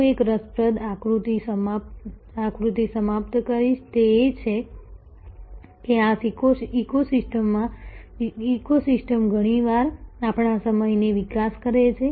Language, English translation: Gujarati, I will end one interesting diagram, that is how actually this ecosystem often develop our time